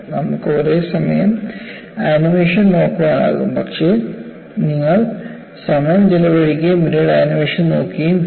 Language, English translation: Malayalam, In fact, you could look at the animation simultaneously, but you would also spend time and looking at the animation exclusively later